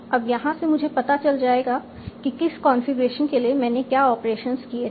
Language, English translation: Hindi, So, there I can find out for what configuration, what was the operation that I had taken